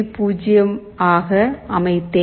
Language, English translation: Tamil, Let me change it to 0